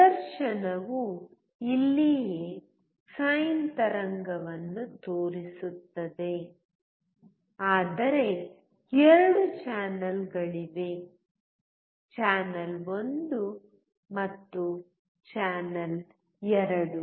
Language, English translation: Kannada, The display is showing a sign wave right here, but there are 2 channels: channel 1 and channel 2